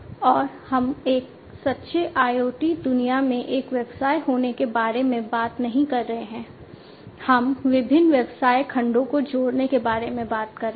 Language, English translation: Hindi, And we are talking about not one business in a true IoT world, we are talking about connecting different business segments